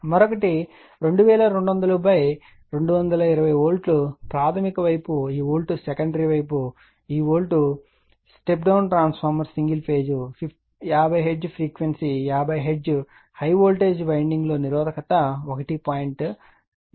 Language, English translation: Telugu, Another one is a 2200 220 Volt primary side this Volt secondary side this Volt step down transformer single phase 50 Hertz frequency is 50 Hertz areresistance 1